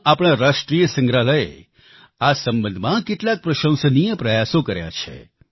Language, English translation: Gujarati, In Delhi, our National museum has made some commendable efforts in this respect